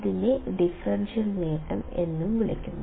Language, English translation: Malayalam, What is the differential gain